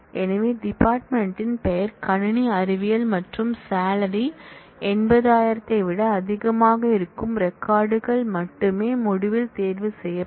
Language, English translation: Tamil, So, only records where the department name is computer science and salary is greater than 8000 will be chosen in the result